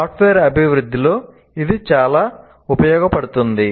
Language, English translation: Telugu, This is very, very much used in software development